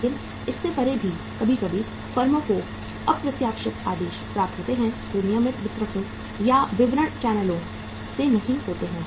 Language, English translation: Hindi, But beyond that also sometimes the firms receive the unforeseen orders which are not from the regular distributors or the channels of distribution